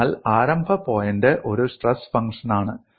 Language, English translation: Malayalam, So the starting point, is a stress function